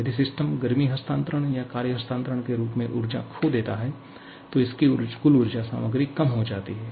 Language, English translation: Hindi, And similarly, if the system loses energy in the form of heat transfer or work transfer, its total energy content reduces